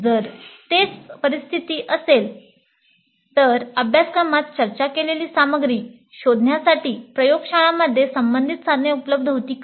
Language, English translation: Marathi, If that is the scenario, whether relevant tools were available in the laboratories to explore the material discussed in the course